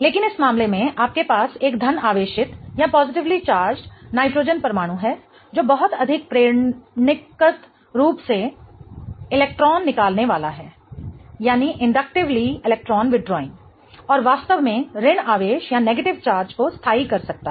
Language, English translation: Hindi, But in this case you have a positively charged nitrogen atom that is much more inductively electron withdrawing and can really stabilize the negative charge